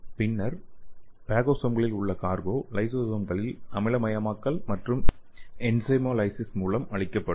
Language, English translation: Tamil, So then the cargo contained in the phagosomes will be destroyed by acidification and enzymolysis in the lysosomes